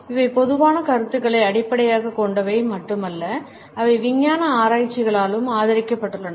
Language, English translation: Tamil, These are based not only on common perceptions, but they have also been supported by scientific researches